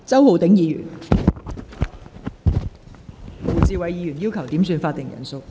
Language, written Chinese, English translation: Cantonese, 胡志偉議員要求點算法定人數。, Mr WU Chi - wai requested a headcount